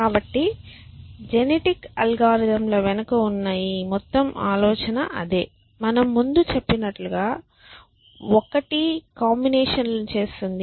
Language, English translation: Telugu, So, that is the whole idea behind genetic algorithms like we said one makes up the combinations